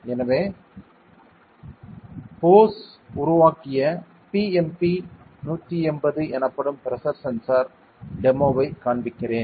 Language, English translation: Tamil, So, I will be showing a demo with the pressure sensor called BMP180 which is developed by Bosch